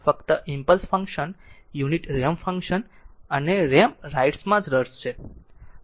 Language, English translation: Gujarati, We are only interested in impulse function, unit step function and the ramp right